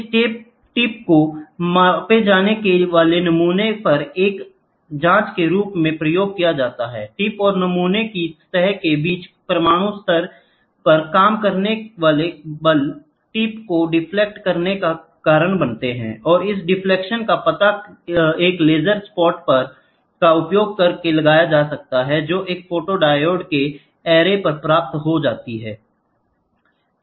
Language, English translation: Hindi, This tip is used as a probe on the specimen to be measured, the force acting at atomic level between the tip and the surface of the specimen causes the tip to deflect and this deflection is detected using a laser spot which is reflected to an array of photodiodes